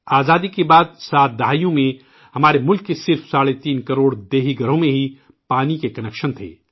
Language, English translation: Urdu, In the 7 decades after independence, only three and a half crore rural homes of our country had water connections